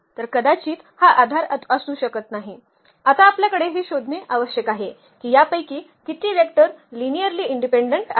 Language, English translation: Marathi, So, these may not be the basis now we have to just find out that how many of these vectors are linearly independent